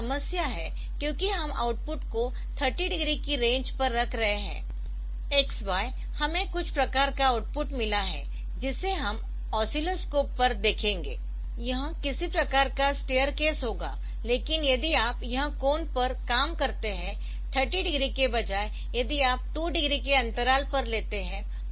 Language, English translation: Hindi, So, here the problem came because we are taking a putting the output at the range of 30 degrees x y we have got some sort of the output that will see on the oscilloscope will be some sort of stair case of thing, but if you reduce this if you if you reduce this angle